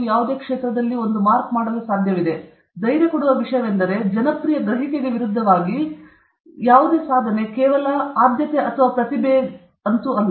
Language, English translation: Kannada, So, the reassuring thing in this is, contrary to popular perception it is not innate talent or genius that alone matters